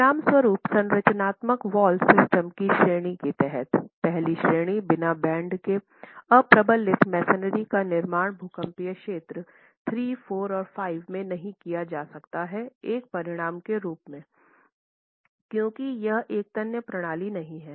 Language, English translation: Hindi, As a consequence under the category of structural wall systems, the first category unreinforced masonry without bands cannot be constructed in seismic zones 3, 4 and 5 as a consequence because it is not a ductile system at all